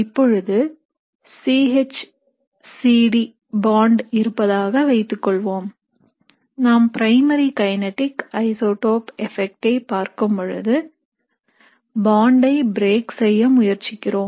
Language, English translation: Tamil, So now let us imagine that once you have the C H C D bond, and we are looking at a primary kinetic isotope effect, so essentially we are trying to break this bond